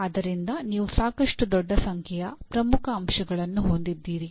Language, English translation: Kannada, So you have a fairly large number of key elements